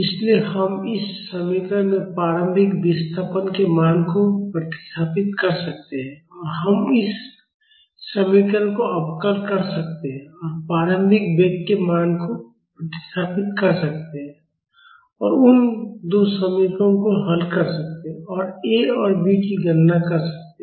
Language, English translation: Hindi, So, we can substitute the value of initial displacement in this equation; and we can differentiate this equation and substitute the value of initial velocity and solve those two equations and calculate A and B